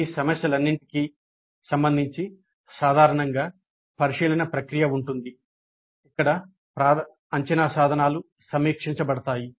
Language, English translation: Telugu, With respect to all these issues usually a scrutiny process exists where the assessment instruments are reviewed